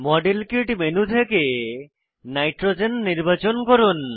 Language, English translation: Bengali, Click on the modelkit menu and check against Nitrogen